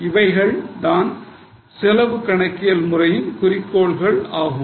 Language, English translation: Tamil, So, these are the objectives of cost accounting system